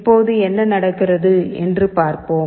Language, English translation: Tamil, Now, let us see what is happening